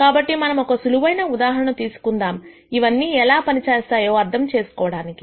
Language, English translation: Telugu, So, let us take a simple example to understand how all of these work